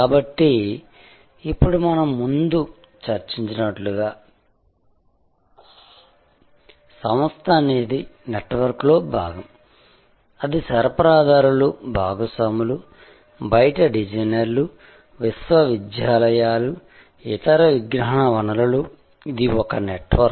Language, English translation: Telugu, So, now as we discussed before, the organization the firm itself is part of a network, it is suppliers, it is partners, designers from outside, universities, other knowledge sources, this is one network